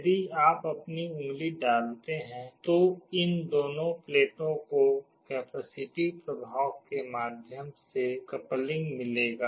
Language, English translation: Hindi, If you put your finger, these two plates will get a coupling via a capacitive effect